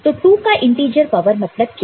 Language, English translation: Hindi, So, integer power of 2 is what